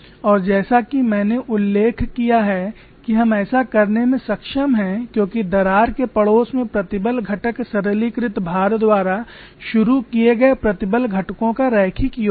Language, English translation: Hindi, We are able to do this because the stress component in the neighborhood of a crack is the linear sum of the stress components introduced by simplified loadings